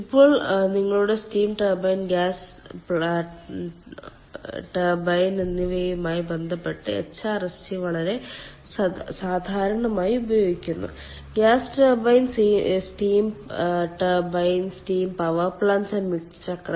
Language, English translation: Malayalam, hrsg is very commonly used in connection with ah, your steam turbine, gas turbine, um ah, sorry, gas turbines, steam turbines, steam power plant, combined cycle now